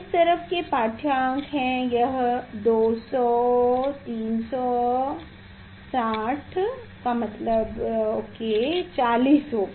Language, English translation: Hindi, this side reading is this is 200 then 300 then it is 60 means it will be 40